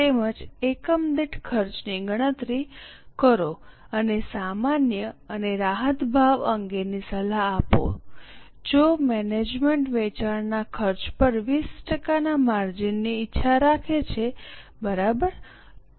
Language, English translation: Gujarati, Also compute cost per unit, advise on the normal and concessional price if management desires a margin of 20% on cost of sales